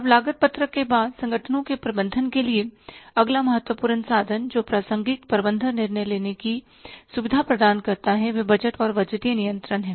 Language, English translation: Hindi, Now after the cost sheet next important instrument for managing the organizations which facilitate the relevant management decision making are the budgets and the budgetary control